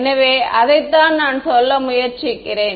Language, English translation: Tamil, So, that is what I am trying to say